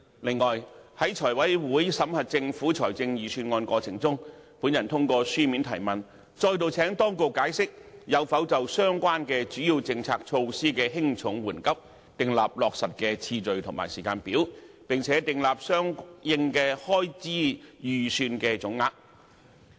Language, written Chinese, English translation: Cantonese, 此外，在財務委員會審核政府財政預算案的過程中，我透過書面質詢，再度請當局解釋有否就相關主要政策措施的輕重緩急，訂立落實的次序及時間表，並訂立相應的開支預算總額。, Moreover during the examination of the Budget by the Finance Committee I again sought an explanation from the authorities as to whether they had determined the priority of and timetable for implementing the relevant major policies and measures and set out the total estimated expenditure accordingly